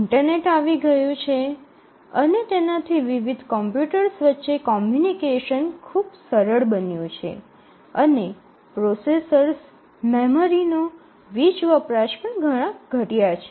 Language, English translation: Gujarati, The internet has come in and there is tremendous flexibility for different computers to communicate to each other and also the power consumption of the processors and memory have drastically reduced